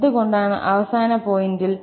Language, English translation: Malayalam, Why at the end point